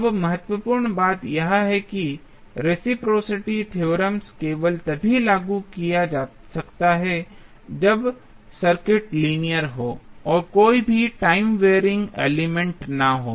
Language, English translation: Hindi, Now, important thing is that the reciprocity theorem can be applied only when the circuit is linear and there is no any time wearing element